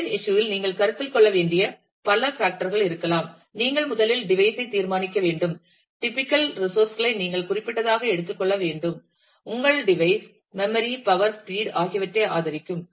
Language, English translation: Tamil, You might be developing and there a several factors to considered in the design issue, you have to first decide on the device, you have to take specific note of the typical resources, that you will your device will support memory, power, speed